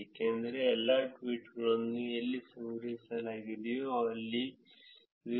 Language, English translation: Kannada, It is because all the tweets that where collected where actually at the 0